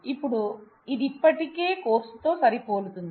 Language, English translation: Telugu, Now it already matches on the course